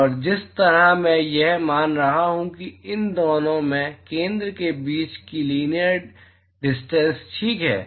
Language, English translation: Hindi, And the way I do that is supposing the linear distance between center of these two is r ok